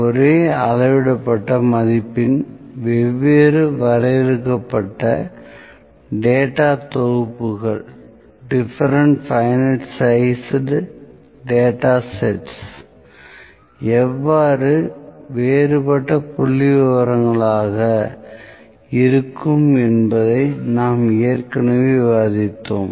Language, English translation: Tamil, We have already discussed how different finite sized data sets of the same measured value would be somewhat different statistics